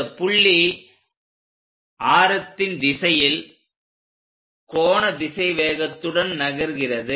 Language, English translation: Tamil, This point moves with the angular velocity and also radial direction